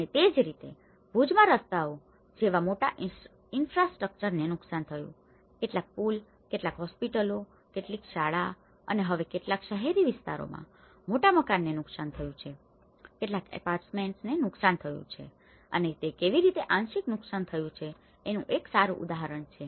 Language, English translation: Gujarati, And similarly in Bhuj, where a large infrastructure has been damaged like roads also, some of the bridges, some of the hospitals, some of the schools which has been and now some in the urban areas, huge house, many houses have been damaged, some apartments have been damaged and this is one good example of how it has partially been damaged